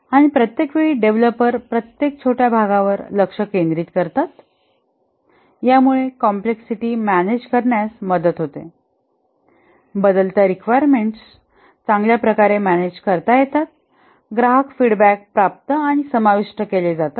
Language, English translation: Marathi, And since each time the developers focus each time on a small part, it helps in managing complexity, better manage changing requirements, customer feedbacks are obtained and incorporated